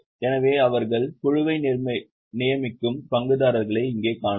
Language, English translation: Tamil, So, you can see here shareholders, they appoint board